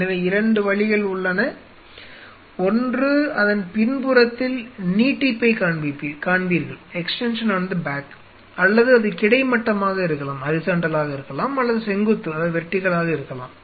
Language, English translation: Tamil, So, there are 2 ways either you will see an extension on the back of it, or either it could be horizontal or it could be a vertical